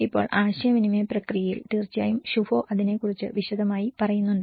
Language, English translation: Malayalam, Now in the communication process, of course when Shubho have dealt in detailed about it